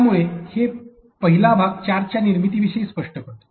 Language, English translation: Marathi, So, this first unit could be explaining about the formation of charges